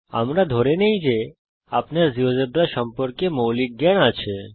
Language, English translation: Bengali, We assume that you have the basic working knowledge of Geogebra